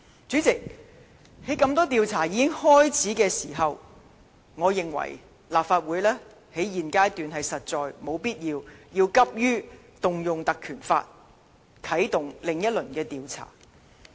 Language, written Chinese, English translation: Cantonese, 主席，在多項調查已經開始時，我認為立法會在現階段實在沒有必要急於運用《立法會條例》，啟動另一輪調查。, President as various investigations are already under way I cannot see any urgency for the legislature to invoke the PP Ordinance to commence another investigation